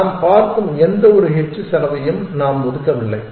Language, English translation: Tamil, Remember that we are not counting we are not allocating any h cost we are viewing